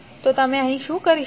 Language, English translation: Gujarati, So here what you can do